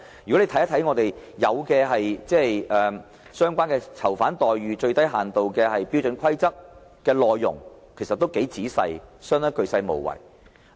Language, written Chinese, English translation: Cantonese, 如果大家看看《囚犯待遇最低限度標準規則》的內容，其實都很仔細，相當鉅細無遺。, Take a look at the Standard Minimum Rules for the Treatment of Prisoners and we will see it actually is meticulously written with practically no detail left uncovered